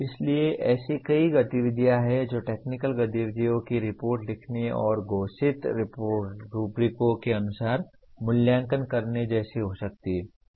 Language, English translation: Hindi, So there are several activities one can do like write technical activities reports and get evaluated as per declared rubrics